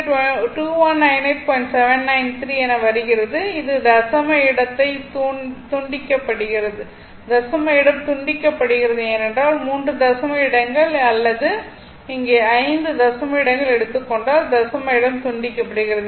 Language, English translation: Tamil, 793 because this decimal place is truncated if you take up to three decimal places or here you take up to five decimal places